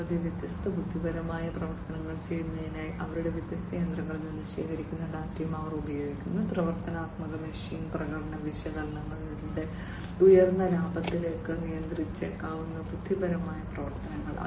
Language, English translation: Malayalam, And they also use the data that are collected from their different machinery for performing different intelligent actions; intelligent actions which can lead to higher profit by predictive machine performance analysis